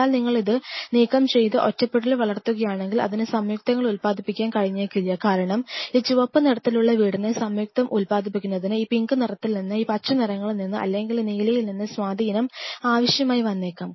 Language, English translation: Malayalam, But if you remove it and keep grow it in isolation it may not be able to produce at compound a because in order for this red one to produce compound a may need influence from this pink one, from these green ones, or from this blue one